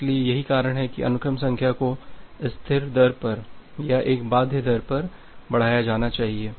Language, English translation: Hindi, So, that is why the sequence number need to be increased at a constant rate or at a bounded rate